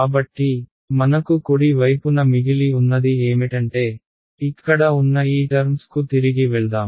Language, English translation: Telugu, So, what I was left with on the right hand side is so let us go back to this terms over here